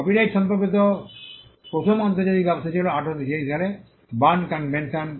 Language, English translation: Bengali, The first international arrangement on copyright was the Berne Convention in 1886